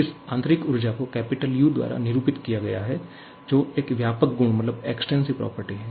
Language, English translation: Hindi, Again, this internal energy denoted by capital U is an extensive property